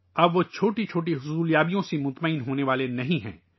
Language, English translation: Urdu, Now they are not going to be satisfied with small achievements